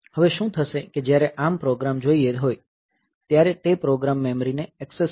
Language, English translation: Gujarati, Now, what will happen is that when the ARM is asking for program so it will access the program memory